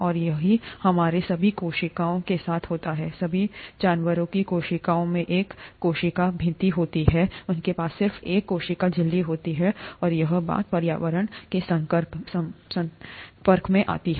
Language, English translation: Hindi, And that is the case with all our cells, all animal cells do not have a cell wall, they just have a cell membrane and that is what is exposed to the environment